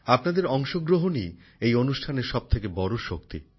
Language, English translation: Bengali, Your participation is the greatest strength of this program